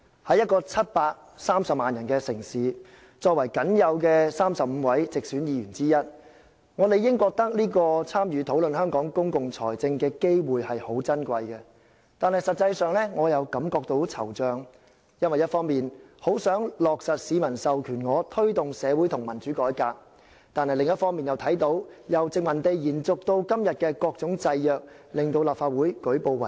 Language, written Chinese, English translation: Cantonese, 在一個730萬人的城市，作為僅有的35位直選議員之一，我理應認為這次參與討論香港公共財政的機會很珍貴，但實際上，我覺得很惆悵，因為一方面我很想落實市民授權我推動的社會和民主改革，但另一方面又看到由殖民地延續至今的各種制約，令立法會舉步維艱。, Being one of the mere 35 directly elected Members in a city with a population of 7.3 million people I naturally believe that the opportunity to participate in the debate on Hong Kongs public finance is highly precious but in reality I am very much saddened for while I earnestly want to implement social and democratic reforms that the public authorize me to take forward I have observed that the various restraints left over from the colonial era have made it difficult for the Legislative Council to make headway